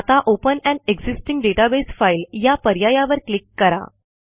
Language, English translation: Marathi, Let us now click on the open an existing database file option